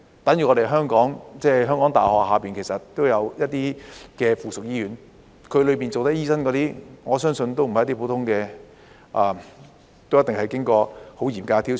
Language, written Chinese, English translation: Cantonese, 等於香港大學轄下也有一些附屬醫院，在附屬醫院裏工作的醫生，我相信不是普通的醫生，而是都一定經過很嚴格的挑選。, Similarly the University of Hong Kong also has affiliated hospitals . I believe doctors working in these affiliated hospitals are not ordinary doctors and they must have gone through a very strict selection process